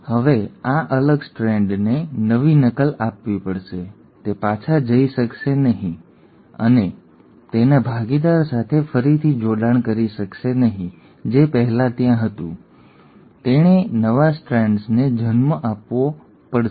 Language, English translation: Gujarati, So, now this separated strand has to give a new copy, it cannot go back and reanneal with its partner which was there earlier, it has to give rise to new strand